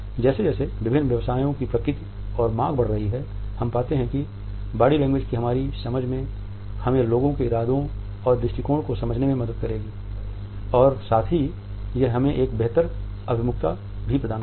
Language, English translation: Hindi, As the nature and demands of different professions is growing, we find that our understanding of body language would help us in understanding the intentions and attitudes of the people and at the same time it would provide us a better orientation